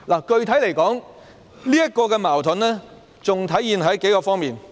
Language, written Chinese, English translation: Cantonese, 具體來說，這個矛盾還出現在數方面。, Specifically this conflict has also taken shape in several dimensions